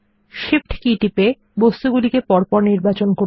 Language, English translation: Bengali, Press the Shift key and slect the object one after another